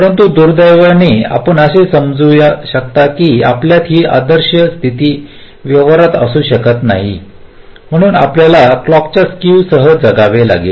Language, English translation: Marathi, but unfortunately, as you can understand, we cannot have this ideal situation in practice, so we will have to live with clock skew